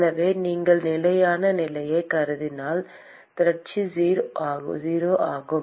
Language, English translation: Tamil, So, if you assume steady state, accumulation is 0